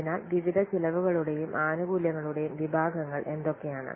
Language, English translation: Malayalam, So these are the important categories of different cost and benefits